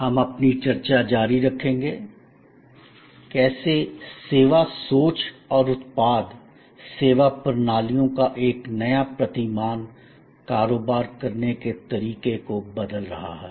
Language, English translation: Hindi, We will continue our discussion, how service thinking and a new paradigm of product service systems are changing the way businesses are done